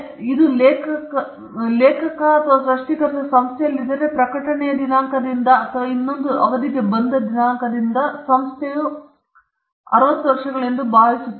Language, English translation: Kannada, If it’s not an author, if the author or the creator is in institution, then the institution from the date of the publication or from the date it is for another term, I think it is 60 years